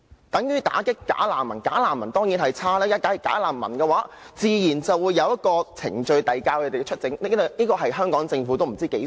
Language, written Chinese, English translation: Cantonese, 等於"打擊'假難民'"，"假難民"當然是不好的，自然要有程序遞解他們出境，這是香港政府多麼渴望的事。, It is the same case with combating bogus refugees . Of course bogus refugees are no good and there must be procedures of repatriating them . This is something the Government of Hong Kong has been longing for